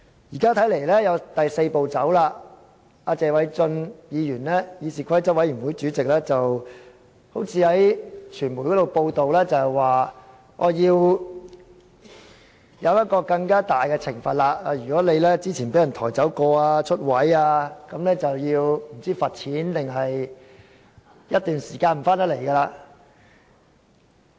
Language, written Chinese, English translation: Cantonese, 現在看來還有第四步，謝偉俊議員是議事規則委員會主席，據傳媒報道，他好像說要制定更大的懲罰，若議員之前曾被抬走或離開座位等，便要罰款或在一段時間內不可回來出席會議。, Mr Paul TSE is the Chairman of the Committee on Rules of Procedure . According to media reports he seemed to have talked about the need to devise greater punishment . If a Member has been removed from a meeting left his seat etc he will be fined or prohibited from coming back to attend any meeting within a certain period of time